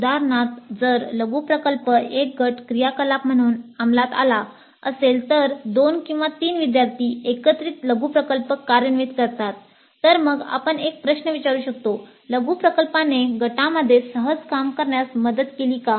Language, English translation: Marathi, For example, if the mini project is implemented as a group activity, two or three students combining together to execute the mini project, then we can ask a question like the mini project helped in working easily in a group